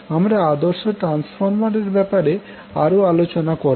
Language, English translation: Bengali, And then also we will discuss about the ideal transformer